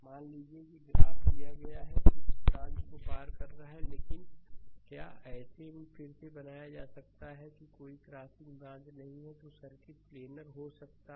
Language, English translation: Hindi, Suppose diagram is given it is crossing branches, but you can if you can redraw such that there is no crossing branches, then circuit may be planar right